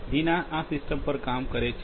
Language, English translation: Gujarati, Deena is a working on this system